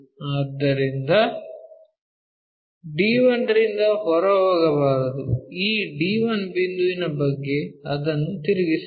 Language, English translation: Kannada, So, one should not move out of d 1, about this d 1 point we have to rotate it